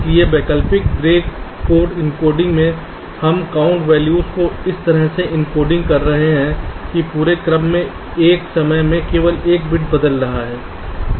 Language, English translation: Hindi, ok, so in the alternate grey code encoding we are encoding the count values in such a way that across successive counts, only one bit is changing at a time